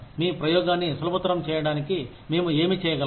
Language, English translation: Telugu, What can we do, to facilitate your experimentation